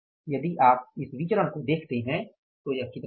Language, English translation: Hindi, If you look at this variance, this will work out as how much